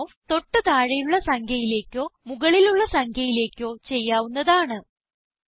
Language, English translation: Malayalam, Rounding off, can also be done to either the lower whole number or the higher number